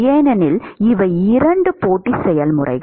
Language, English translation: Tamil, Because, these are 2 competing processes